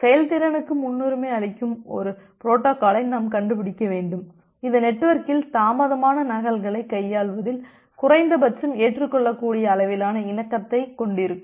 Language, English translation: Tamil, And whenever we give preference over performance still we need to find out a protocol, which will have at least acceptable level of conformation in handling the delayed duplicates in the network